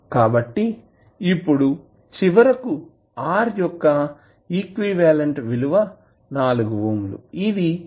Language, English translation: Telugu, So now, finally the R equivalent that is 4 ohms, is connected in parallel with 0